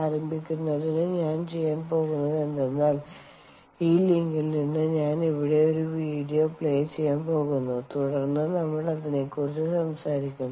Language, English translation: Malayalam, to start, what i am going to do is i am just going to play a video over here and from this link and then we will talk about it